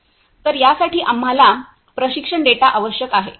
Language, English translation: Marathi, So, for this we need training data